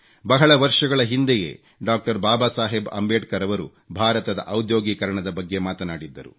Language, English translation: Kannada, Baba Saheb Ambedkar spoke of India's industrialization